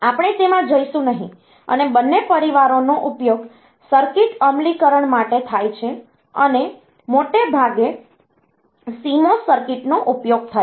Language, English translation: Gujarati, And, both the families are used though for circuit implementation, it is mostly CMOS circuit